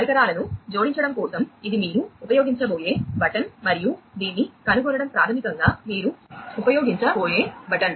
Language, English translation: Telugu, For adding devices, this is the button that you will be using and for discovering this is basically the button that you are going to use